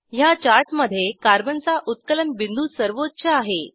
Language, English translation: Marathi, In this chart, Carbon has highest melting point